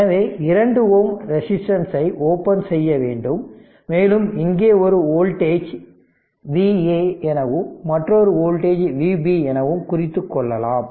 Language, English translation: Tamil, So, it will be open 2 ohm resistance is open, and we have marked one voltage here V a another voltage is V b